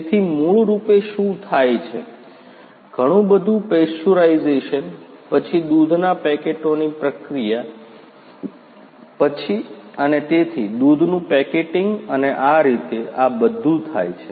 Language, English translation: Gujarati, So, basically what happens is lot of pasteurisation then processing of the milk packets and so, on packeting of the milk and so, on that is what happens